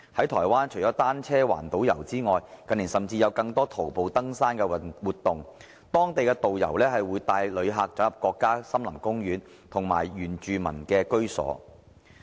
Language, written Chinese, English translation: Cantonese, 台灣除了單車環島遊，近年甚至有更多徒步登山活動，當地導遊會帶旅客進入國家森林公園和原住民居所。, In Taiwan apart from cycling around the island more mountaineering activities have been introduced in recent years with local tour guides taking visitors to national forest parks and residences of indigenous peoples